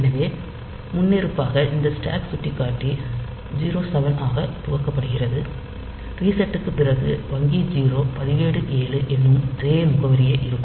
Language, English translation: Tamil, So, by default these stack pointer is initialized to 07, after the reset that is same address as the register 7 of bank 0